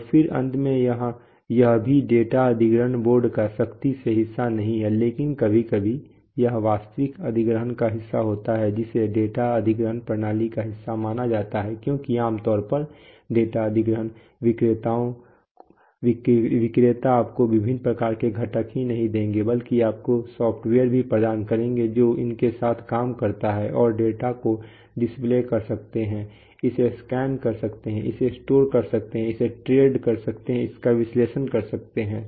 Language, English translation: Hindi, And then finally this is also not strictly a part of the data acquisition board but the, but sometimes it is a part of the real acquisitions is considered to be a part of the data acquisition system because generally data acquisition vendors will not only give you this sort of components they will also supply you with the software which works with these, this data and can you know display it, can scan it, store it, can trend it, analyze it